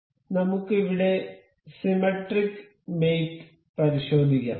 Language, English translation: Malayalam, So, let us just check the symmetric mate over here